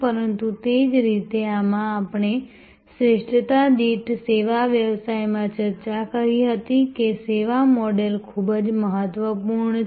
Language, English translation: Gujarati, But, similarly in these as we had discussed in service business per excellence that servuction model is very important